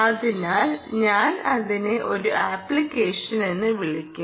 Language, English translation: Malayalam, so i will just call it an app